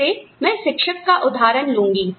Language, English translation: Hindi, Again, I will take the example of academicians